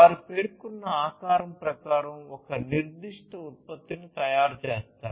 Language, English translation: Telugu, They will manufacture a particular product according to the specified shape